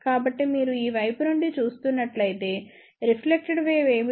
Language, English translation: Telugu, So, if you are looking from this side, what is reflected wave